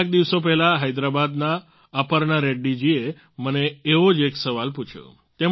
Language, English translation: Gujarati, A few days ago Aparna Reddy ji of Hyderabad asked me one such question